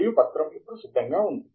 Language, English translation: Telugu, And the document is now ready to be wound up